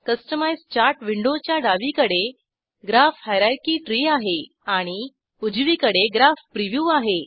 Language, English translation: Marathi, Customize Chart window has, Graph hierarchy tree on the left and Graph preview on the right